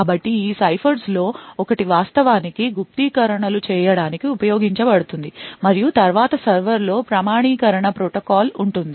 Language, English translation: Telugu, So, one of these ciphers would be used to actually do encryptions and then there would be an authentication protocol with a server